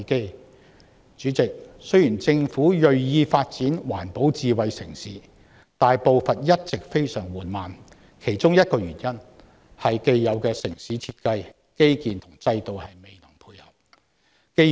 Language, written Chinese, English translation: Cantonese, 代理主席，雖然政府銳意發展環保智慧城市，但步伐一直非常緩慢，其中一個原因是既有的城市設計、基建和制度未能配合。, Deputy President despite the Governments determination to develop an environmentally - friendly and smart city the progress has been extremely slow one of the reasons for which being the incompatibility of established urban design infrastructure and systems